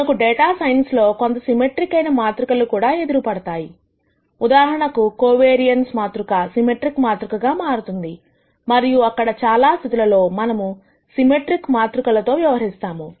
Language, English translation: Telugu, We also encounter symmetric matrices, quite a bit in data science for example, the covariance matrix turns out to be a symmetric matrix and there are several other cases where we deal with symmetric matrices